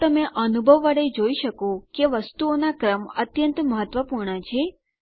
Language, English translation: Gujarati, So you can see from experience that order of things are very important